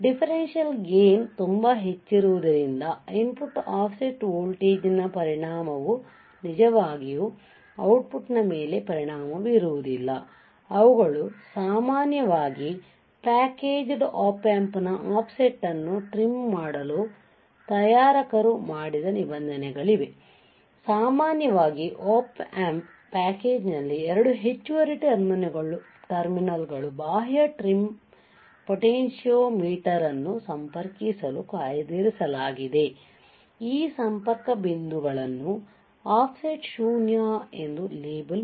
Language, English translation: Kannada, Since the differential gain is very high the effect of the input offset voltage is not really going to affect our output they are usually provisions made by manufacturer to trim the offset of the packaged Op Amp, how usually 2 extra terminals on the Op Amp package are reserved for connecting an external trim potentiometer these connection points are labeled as offset null